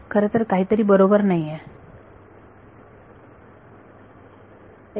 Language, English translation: Marathi, Actually something is not right